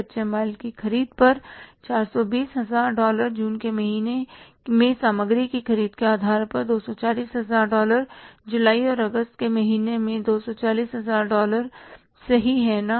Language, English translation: Hindi, $420,000 on account of purchases of materials in the month of June, $240,000 on account of purchase of material in the month of July and August $240,000 in the month of August